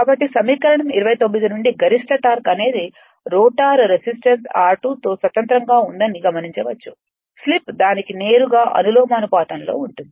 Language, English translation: Telugu, So, equation 20 nine from equation 29, it can be observed that the maximum torque is independent of the rotor resistance right r 2 dash while the slip at which it occurs is directly proportional to it right